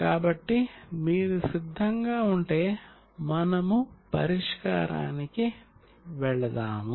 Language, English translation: Telugu, So if you are ready, we will go to the solution